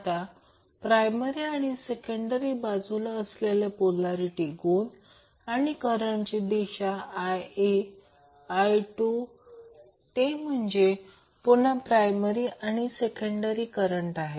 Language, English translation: Marathi, Now, the polarity of voltages that is on primary and secondary side of the transformer and the direction of current I1, I2 that is again primary current and the secondary current